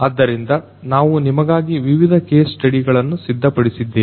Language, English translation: Kannada, So, there are different case studies that we have prepared for you